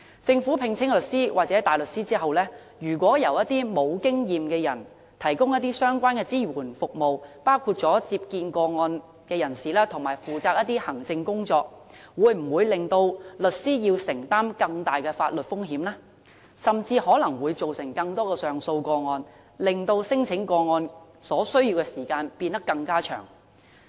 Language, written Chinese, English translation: Cantonese, 政府聘請律師或大律師後，如果由一些沒有經驗的人提供相關支援服務，包括接見個案人士及負責行政工作等，會否令律師承擔更大的法律風險，甚至可能會造成更多上訴個案，令處理聲請個案所需的時間變得更長？, If solicitors or barristers hired by the Government are not supported by experienced staff in giving interviews to the persons concerned and in rendering administrative assistance will these lawyers stand an even higher legal risk? . Will more appeals be generated thus prolonging the processing time for claims?